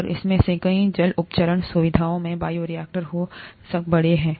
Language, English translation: Hindi, And many of these water treatment facilities have bioreactors that are large